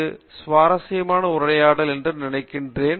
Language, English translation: Tamil, I think this is interesting conversation